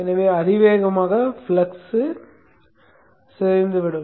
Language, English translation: Tamil, So exponentially the flux will decay